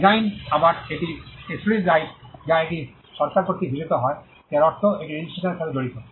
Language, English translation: Bengali, Design again it is an exclusive right it is conferred by the government, which means it involves registration